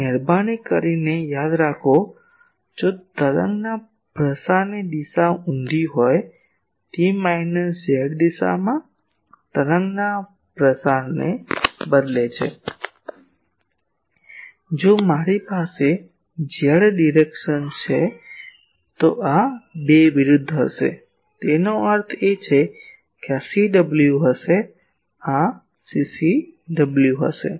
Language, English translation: Gujarati, And please remember that if the wave propagation direction is reversed; that is instead of wave propagation in minus Z direction, if I have Z direction then these 2 will be opposite; that means, this will be CW, this will be CCW